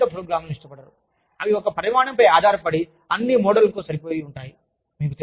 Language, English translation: Telugu, They do not like based programs, that are based on one size, fits all model